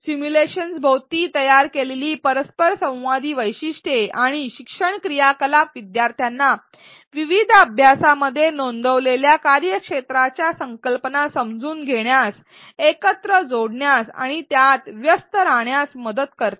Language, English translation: Marathi, Interactive features and learning activities built around the simulations help learners in understanding connecting and engaging with the domain concepts this has been reported in various studies